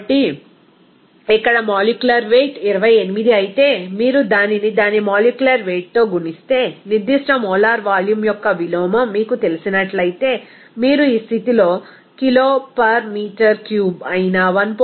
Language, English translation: Telugu, So, if here simply molecular weight is 28, if you multiply it by its molecular weight, from which you know inverse of specific molar volume, then you can get that volume that is 1